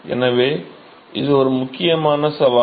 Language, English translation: Tamil, So, that is an important challenge